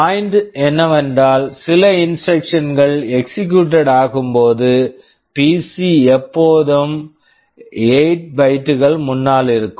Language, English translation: Tamil, The point is that when some instruction is executed the PC will always be 8 bytes ahead